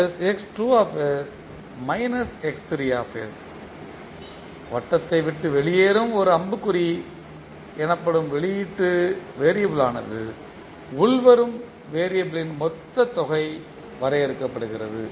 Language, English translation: Tamil, So the output variable appearing as one arrow leaving the circle is defined has the total sum of the incoming variable